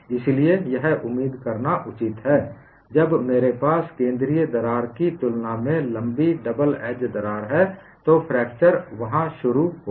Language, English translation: Hindi, So, it is obvious to expect, when I have double edge crack longer than the central crack, fracture would initiate there